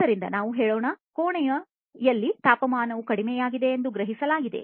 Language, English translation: Kannada, So, let us say that it has been sensed that the temperature has gone down in the room